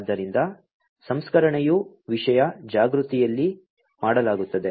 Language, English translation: Kannada, So, the processing is done in a content aware